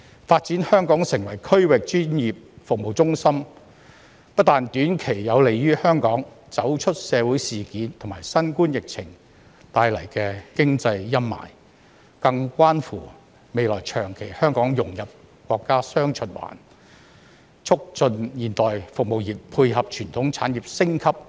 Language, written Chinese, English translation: Cantonese, 發展香港成為區域專業服務中心，不但短期有利於香港走出社會事件和新冠疫情帶來的經濟陰霾，更關乎未來長期香港融入國家"雙循環"，促進現代服務業配合傳統產業升級及便利新興產業。, The development of Hong Kong into a regional professional services centre will not only enable Hong Kong to get out of the economic gloominess resulting from the social incident and the COVID - 19 epidemic in the short run; it even concerns Hong Kongs long - term integration into the countrys dual circulation setting and also the issue of driving modern service industries to dovetail with the upgrading of traditional industries and facilitate the development of emerging industries